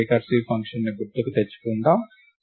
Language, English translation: Telugu, Let us just recall recursive function